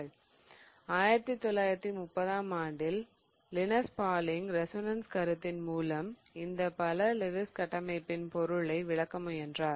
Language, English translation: Tamil, Linus Pauling in 1930 gave this concept of resonance through which he tried to explain these multiple Lewis structures